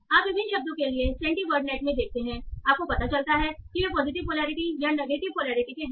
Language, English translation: Hindi, So you see in CentiWodnet for different words you find out whether they are positive polarity or negative polarity